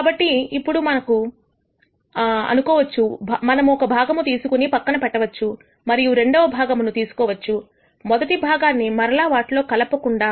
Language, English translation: Telugu, Now let us assume that we have picked one part kept it aside and we draw a second part without replacing the first part into the pool